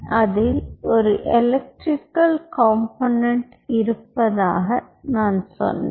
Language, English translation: Tamil, having said this, i told you that there is an electrical component involved in it